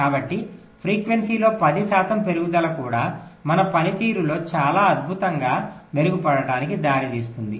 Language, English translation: Telugu, so even a ten percent increase in frequency, we will lead to a very fantastic improve in performance